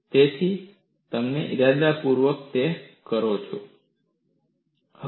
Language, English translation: Gujarati, So, you deliberately do that